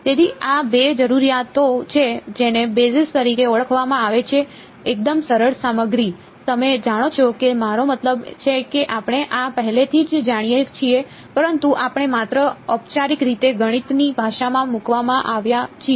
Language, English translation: Gujarati, So, these are the two requirements to be called a basis fairly simple stuff, you know I mean we already sort of know this, but we are just formally put into the language of math